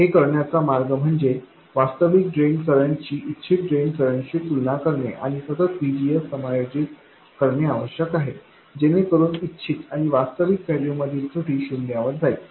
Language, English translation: Marathi, The way to do it is to compare the actual drain current to the desired drain current and continuously adjust VGS such that the error between the desired and actual values goes to zero